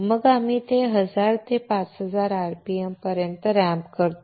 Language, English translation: Marathi, Then we ramp it up to 1000 to 5000 rpm